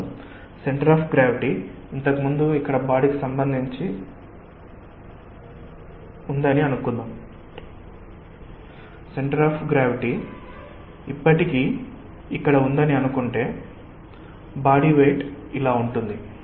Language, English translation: Telugu, so if the centre of gravity earlier was, say, relative to the body, here let us say that the centre of gravity is still here